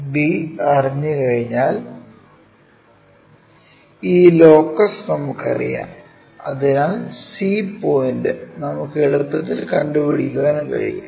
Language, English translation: Malayalam, Once b is known we know this locus, so c point we can easily note it down